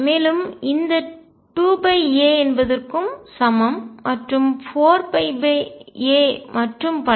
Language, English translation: Tamil, And this 2 by a is equivalent to then 4 pi by a and so on